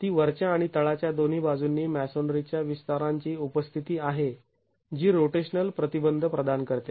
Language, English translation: Marathi, It is the presence of extensions of the masonry on either side of the top or the bottom that is providing rotational restraint